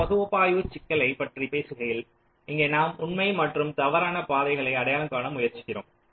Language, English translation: Tamil, so talking about the timing analysis problem, here we are trying to identify true and false critical paths